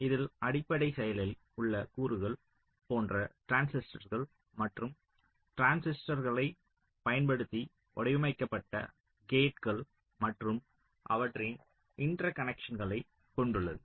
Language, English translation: Tamil, it contains the basic active components like the transistors, the gates which are built using transistors and their interconnections